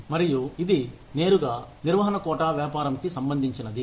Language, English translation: Telugu, And, this is directly related to this, management quota business